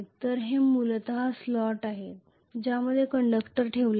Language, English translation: Marathi, So this is essentially a slot inside which conductors are placed